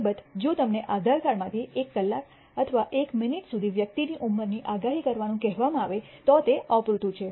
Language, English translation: Gujarati, Of course, if you are asked to predict the age of the person to a hour or a minute the date of birth from an Aadhaar card is insufficient